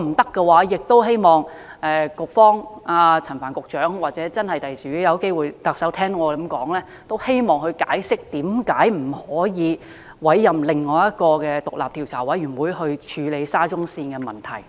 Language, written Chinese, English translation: Cantonese, 否則，我也希望陳帆局長可以解釋，又或日後特首有機會聽到我的建議的話，她可以解釋為何不可以委任另一個獨立調查委員會來處理沙中線的問題。, Otherwise will Secretary Frank CHAN or the Chief Executive if she comes to know my suggestion later please explain why it is impossible to appoint another independent commission of inquiry to inquire into problems of the SCL Project